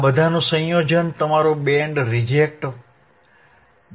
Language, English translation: Gujarati, The combination of all this is your band reject band